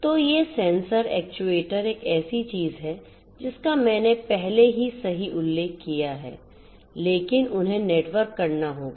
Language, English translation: Hindi, So, these sensors actuators is something that I have already mentioned right, but they will have to be networked